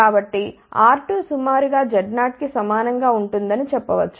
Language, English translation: Telugu, So, we can say R 2 will be approximately equal to Z of 0